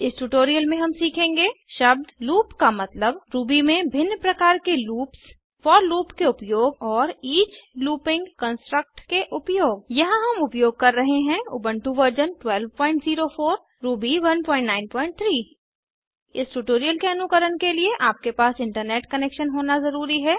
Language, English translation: Hindi, In this tutorial we will learn Meaning of the term loop The different kinds of loops in Ruby Usage of for loop and Usage of each looping construct Here we are using Ubuntu version 12.04 Ruby 1.9.3 To follow this tutorial, you must have Internet Connection